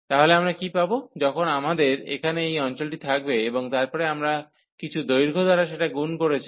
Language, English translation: Bengali, So, what do we get, when we have this area here and then we have multiplied by some height